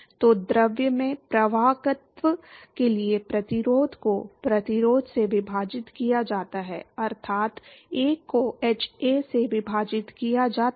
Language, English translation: Hindi, So, that is the resistance for conduction in fluid divided by the resistance for, that is, 1 by hA